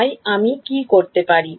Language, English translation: Bengali, So, what do I do